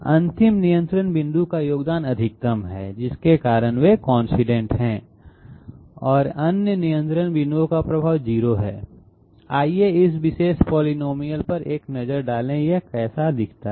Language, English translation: Hindi, And the last point of the curve, contribution of the last control point is maximum because of which they are coincident and the affect of other control point is 0, let us have a look at this particular polynomial, how it looks like